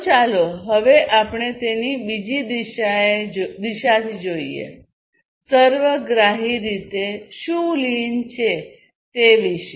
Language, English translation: Gujarati, So, let us now look at it from another direction, holistically, what lean is all about